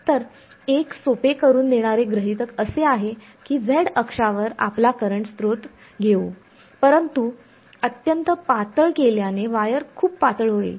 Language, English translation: Marathi, So, one of the simplifying assumptions will be we’ll take our current source to be let us say along the z axis, but very thin will make the wire to be very thin ok